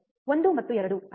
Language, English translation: Kannada, 1 and 2 right